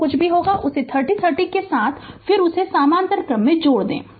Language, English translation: Hindi, Whatever will be there you add it with that 30 30 again is in parallel to that right